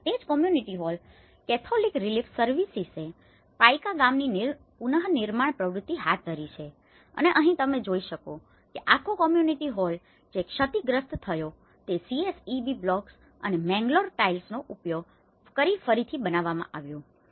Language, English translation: Gujarati, And the same community hall, the Catholic Relief Services has taken the reconstruction activity of the Paika village and here you can see that this whole community hall which has been damaged has been reconstructed and using the CSEB blocks and the Mangalore tiles